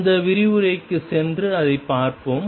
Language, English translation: Tamil, Let us go back to that to that lecture and see it